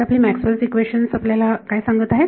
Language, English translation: Marathi, So, what is our Maxwell’s equation telling us